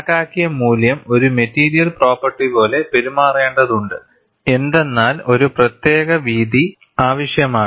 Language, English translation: Malayalam, If the value calculated has to behave like a material property, there is a need for a particular width